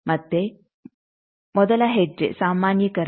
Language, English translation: Kannada, Again the first step is the normalization